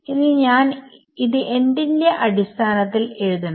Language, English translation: Malayalam, So, what should I write this as